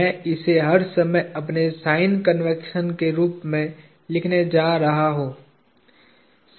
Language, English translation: Hindi, I am going to write this as my sign convention all the time